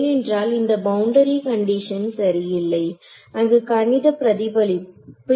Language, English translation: Tamil, Because this boundary condition is not exact, there will be a mathematical reflection right